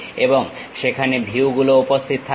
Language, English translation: Bengali, And there will be views available here